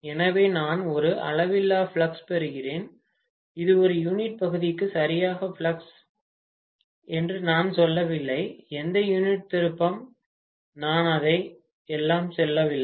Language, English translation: Tamil, So I am getting a measure of flux, I am not saying it is exactly flux per unit area, flux per whatever unit turn, I am not saying that at all